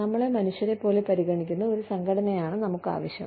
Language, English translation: Malayalam, We need an organization, that treats us like human beings